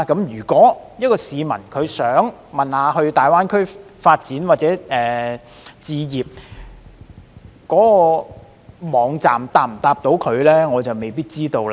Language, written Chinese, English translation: Cantonese, 如有市民想要查詢在大灣區發展或置業的事宜，該網站能否回答他們呢？, If members of the public want to ask about information on career development or home purchase in GBA can they get an answer from the website?